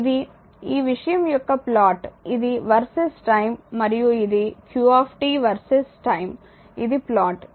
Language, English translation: Telugu, So, this is the plot of your this thing it versus time and this is your qt versus time this is the plot